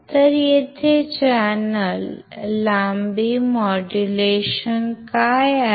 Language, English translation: Marathi, So,, let us see what is channel length modulation